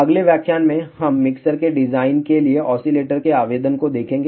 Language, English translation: Hindi, In the next lecture, we will see application of oscillator for the design of mixer